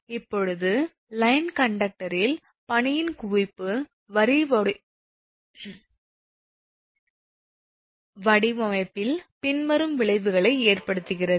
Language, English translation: Tamil, Now, accumulation of ice on the line conductor has the following effects on the line design